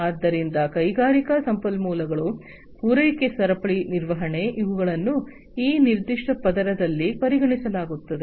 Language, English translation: Kannada, So, industrial resources, supply chain management, these are considered in this particular layer